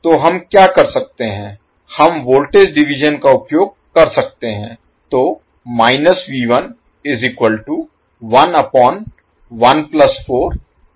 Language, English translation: Hindi, So what we can do, we can utilize the voltage division